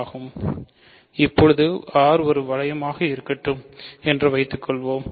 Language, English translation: Tamil, So, let R be a ring